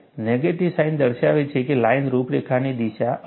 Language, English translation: Gujarati, The negative sign indicates that, the direction of line contour is different